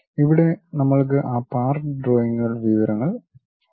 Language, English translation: Malayalam, Here we have that part drawing information